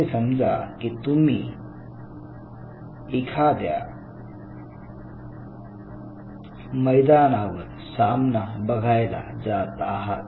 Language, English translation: Marathi, So, say for example, you are going to a stadium to see a match or something